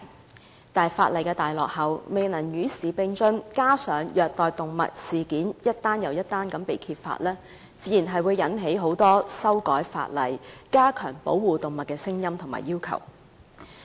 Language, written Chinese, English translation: Cantonese, 但是，相關法例太落後，未能與時並進，加上虐待動物事件陸續被揭發，自然引致很多人要求修改法例，加強保護動物。, However the relevant legislation is too outdated and it fails to keep abreast of the times . Furthermore with more and more animal abuse incidents being uncovered many people naturally demand to amend the law to provide better protection to animals